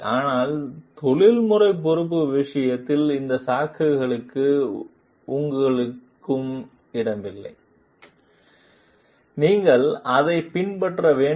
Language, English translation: Tamil, But in case of professional responsibility, you do not have any place for these excuses, you have to follow it